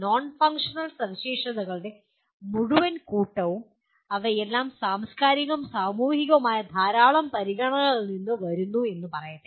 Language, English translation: Malayalam, The whole bunch of non functional specifications and they will all come from let us say the many times they come from cultural and societal considerations